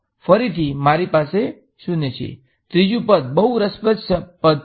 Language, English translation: Gujarati, Again I have a 0, third term is interesting term